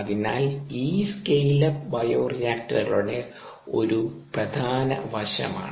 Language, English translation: Malayalam, ok, so this scale up is an important aspect of bioreactors